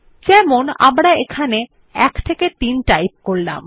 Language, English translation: Bengali, For eg we will type 1 3 here